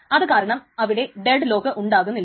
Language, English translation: Malayalam, So that is why it cannot dead lock